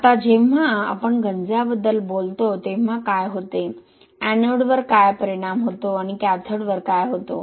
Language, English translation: Marathi, Now what happens when we talk about corrosion, what happens at the anode and what happens at the cathode